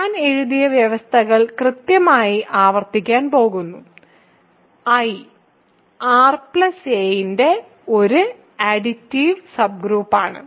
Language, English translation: Malayalam, So, I am going to repeat exactly the conditions that I wrote: I is an additive subgroup of R plus